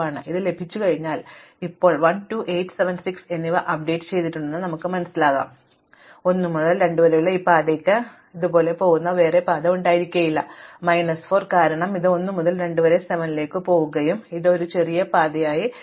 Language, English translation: Malayalam, Now, having got this you will find that we have now updated 1, 2, 8, 7 and 6, now notice that I now have another path not this path from 1 to 2 will have a path which goes this way from 1 to 2 via 7 and this becomes a smaller path, because of this minus 4